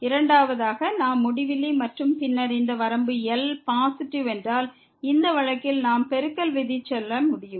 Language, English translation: Tamil, Second, if we have infinity and then this limit is positive, in this case we can go for the product rule